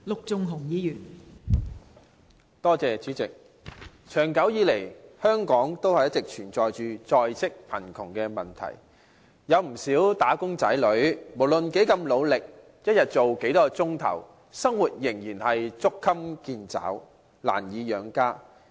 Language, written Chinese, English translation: Cantonese, 代理主席，長久以來，香港一直存在着在職貧窮的問題，不少"打工仔女"無論多麼努力，每天工作多少個小時，生活仍然捉襟見肘，難以養家。, Deputy President in - work poverty has been a long - standing problem in Hong Kong . No matter how hard and how many hours wage earners work every day they still find it difficult to make ends meet and feed their family